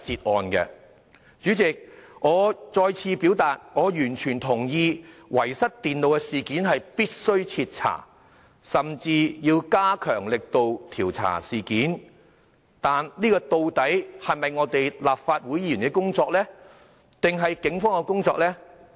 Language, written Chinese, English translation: Cantonese, 代理主席，我再次表達我完全同意遺失電腦的事件必須徹查，甚至要加強力度調查事件，但這究竟是立法會議員的工作，還是警方的工作呢？, Deputy President I once again express my complete agreement to the need to thoroughly inquire into the incident of loss of the computers . They even have to strengthen the inquiry effort . But is it the job of the Legislative Council or the Police?